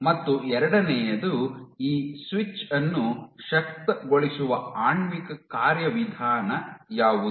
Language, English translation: Kannada, and second is what is the molecular mechanism which enables this switch